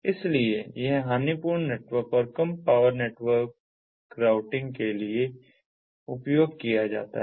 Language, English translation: Hindi, so it is used for lossy networks as well as low power networks for routing